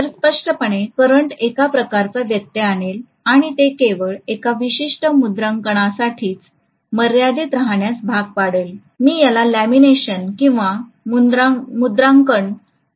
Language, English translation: Marathi, So obviously, the current will be kind of interrupted and it will be forced to confine itself to only one particular stamping, I may call this as lamination or stamping